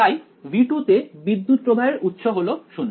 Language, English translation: Bengali, So, in V 2 the current source is 0